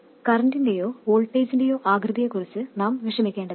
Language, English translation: Malayalam, We don't have to worry about exactly the shape of the current or the voltage